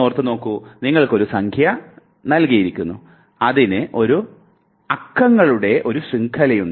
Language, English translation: Malayalam, Now, think of a situation, you are given a number, a number which is, it has long long chain of numerals